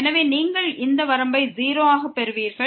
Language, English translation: Tamil, So, you will get this limit as 0